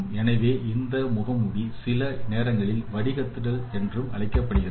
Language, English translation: Tamil, So, this mask is sometimes called also filters